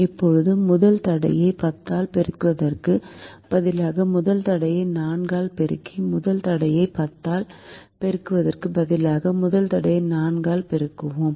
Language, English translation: Tamil, instead of multiplying the first constraint by by ten, we multiply the first constrain by four, so the first constraint is multiplied by four